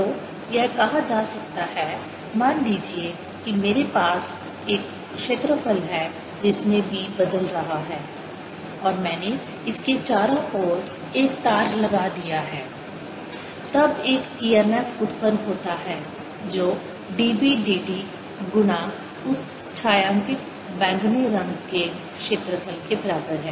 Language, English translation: Hindi, so one can say: suppose i have an area through which b is changing and i put a wire around it, then there is an e m f generated which is equal to d, b, d t times the area of that shaded purple things